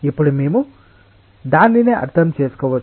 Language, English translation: Telugu, now we can understand that